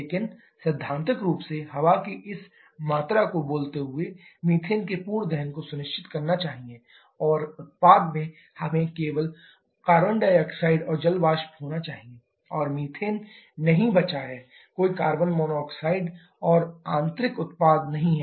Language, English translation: Hindi, But theoretically speaking this exactly this amount of air should ensure complete combustion of methane and in the product, we shall be having only carbon dioxide and water vapour, no methane left out, no carbon monoxide kind of intermittent product